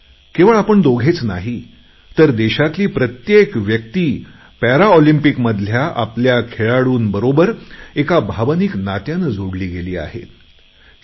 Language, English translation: Marathi, Not only the two of you but each one of our countrymen has felt an emotional attachment with our athletes who participated at the Paralympics